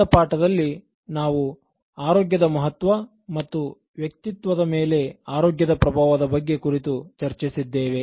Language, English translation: Kannada, In the last lesson, we discussed about the significance of health and its impact on one’s personality